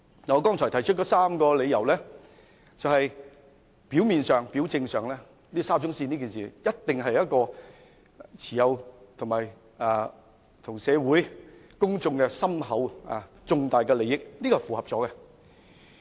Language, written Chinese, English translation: Cantonese, 我剛才提出了3個理由，在表面上，沙中線一事一定與社會大眾有重大的利益關係，這項條件是符合的。, I have just given three reasons . On the fact of it the SCL incident is closely related to public interest so the first condition is met